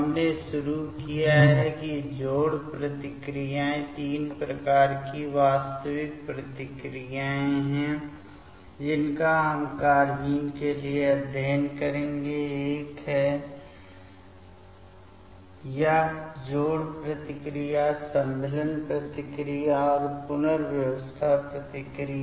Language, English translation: Hindi, We have started that addition reactions among there are three type of actually reactions we will study for carbenes, one is this addition reactions, insertion reaction and the rearrangement reaction